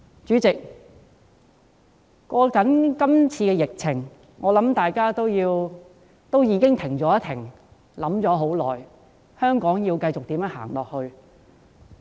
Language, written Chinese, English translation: Cantonese, 主席，面對今次的疫情，我相信大家已經"停了一停"，並思考一段很長時間，香港該如何繼續走下去。, President in the face of the current epidemic I believe we should take a break and spend some time to think how Hong Kong should move forward